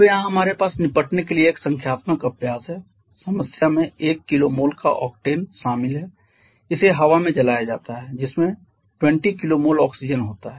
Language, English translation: Hindi, Now here we have one numerical exercise to deal with the problem involves 1 kilo mole of octane it is burned in air that contains 20 kilo mole of oxygen